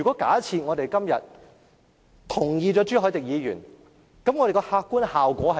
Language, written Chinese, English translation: Cantonese, 假設我們今天贊同朱凱廸議員的議案，那會產生甚麼客觀效果呢？, If we agree with the motion proposed by Mr CHU Hoi - dick today what will be the objective consequence?